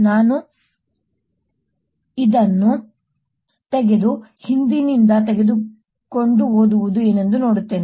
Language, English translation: Kannada, i'll take this off and take it from behind and see what the reading would be